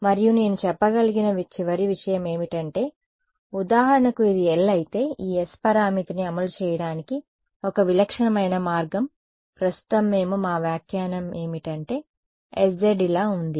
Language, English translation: Telugu, And I think the final thing that I can say for example, if this is L over here a typical way of implementing this S parameter right now we are our interpretation is that s z is like this sorry s z is like this